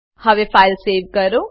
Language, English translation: Gujarati, Now save this file